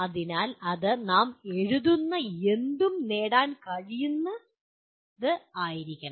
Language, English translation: Malayalam, So it should be anything that we write should be achievable